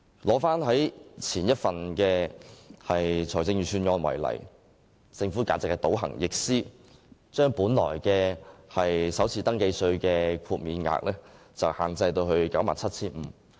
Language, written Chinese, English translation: Cantonese, 以前一份財政預算案為例，政府簡直是倒行逆施，把首次登記稅豁免額限制於 97,500 元。, In the case of the previous Budget for example the Government was simply retrogressive in the sense that it proposed to cap the first registration tax FRT concession at 97,500